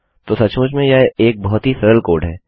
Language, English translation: Hindi, So obviously, this is a very simple code